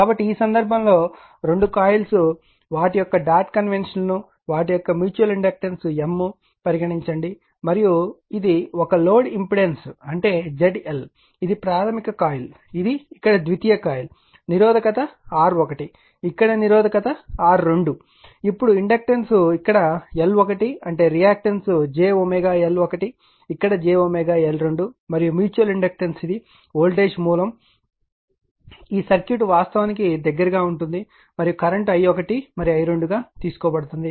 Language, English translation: Telugu, So, in this case your in this case two coils are there dot conventions given their mutual inductance is M and this is one load impedance is that Z L this is the primary coil this is a secondary coil here, resistance is R 1 here resistance is R 2 here inductance L 1 means reactance is j omega L 1 here it is j omega L 2 and mutual inductance is then this is the voltage source this circuit is close actually right and current is taken i 1 and i 2